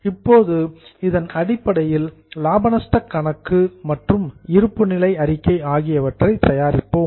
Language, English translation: Tamil, Now based on this, let us go for preparation of P&L and balance sheet